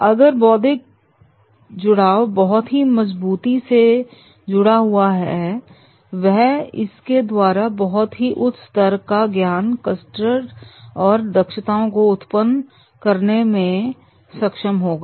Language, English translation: Hindi, If that intellectual connect is very, very strong, then in that case, he will be able to create a very high level of knowledge, skill and competencies